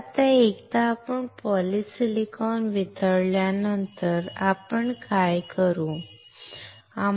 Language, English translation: Marathi, So, now, once we melt the polysilicon, what we do